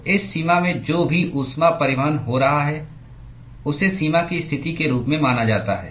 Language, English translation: Hindi, So, the whatever heat transport that is occurring in this boundary is accounted as the boundary condition